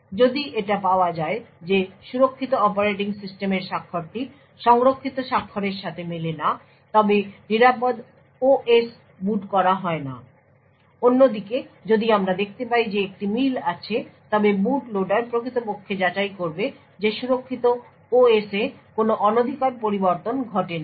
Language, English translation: Bengali, If it is found that signature of the secure operating system does not match the signature which is stored then the secure OS is not booted on the other hand if we find that there is a match then the boot loader would has actually verified that no tampering has occurred on the secure OS and would it could permit the secure operating system to boot